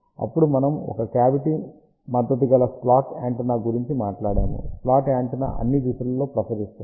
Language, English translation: Telugu, Then we talked about a cavity backed slot antenna slot antenna radiates in all the direction